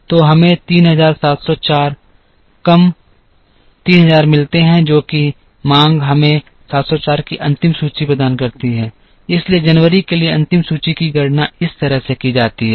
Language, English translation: Hindi, So, we get 3,704 less 3,000 which is the demand gives us the final inventory of 704, so the ending inventory for January is calculated this way